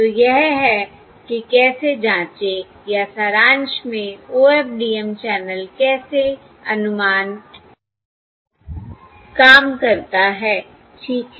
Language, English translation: Hindi, that is how enquiry or, in summary, how OFDM channel estimation works